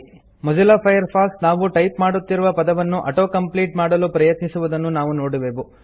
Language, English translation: Kannada, We see that Mozilla Firefox tries to auto complete the word we are typing